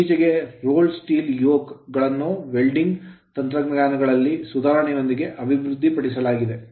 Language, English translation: Kannada, So, lately rolled steel yokes have been developed with the your improvements in the welding techniques